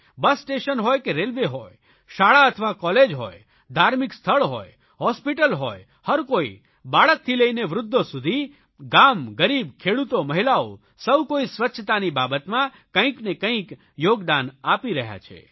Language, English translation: Gujarati, Everyone, be it a common citizen, an administrator, in Government offices or roads, bus stops or railways, schools or colleges, religious places, hospitals, from children to old persons, rural poor, farming women everyone is contributing something in achieving cleanliness